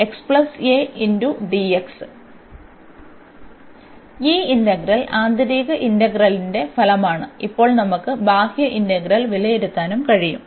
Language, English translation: Malayalam, And this is exactly the result of the integral the inner integral, and now we can evaluate this outer integral as well